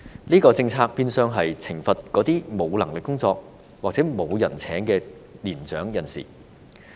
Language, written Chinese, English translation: Cantonese, 這項政策變相是懲罰那些沒有工作能力或沒有人聘請的年長人士。, This policy is actually penalizing senior citizens who do not have the ability to work or who are unemployable